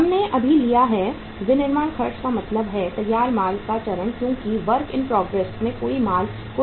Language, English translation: Hindi, We have taken now the manufacturing expenses means the finished goods stage there is no uh work in process stage